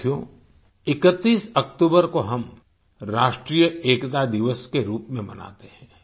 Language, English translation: Hindi, Friends, we celebrate the 31st of October as National Unity Day